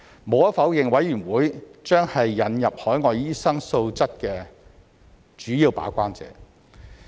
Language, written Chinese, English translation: Cantonese, 無可否認，委員會將是引入海外醫生素質的主要把關者。, Undeniably SRC will be the main gatekeeper for the quality of overseas doctors to be introduced